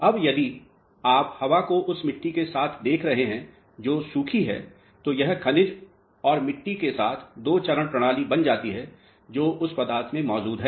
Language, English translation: Hindi, Now, if you are considering air also into the soil which is dry then this becomes a two phase system with soil and minerals which are present in the material